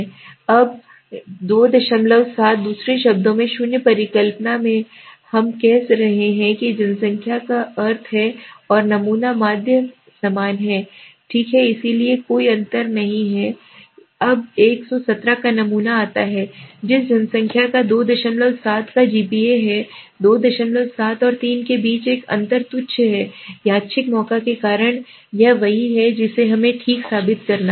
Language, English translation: Hindi, 7 in other words in null hypothesis we are saying that the population means and the sample mean are same equal, right so there is no difference okay, now the sample of 117 comes from the population that has a GPA of 2